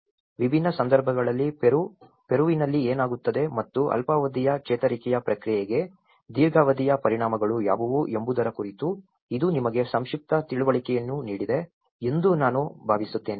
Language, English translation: Kannada, I hope this has given you a brief understanding of what happens in Peru in different context and what are the long term impacts for the short term recovery process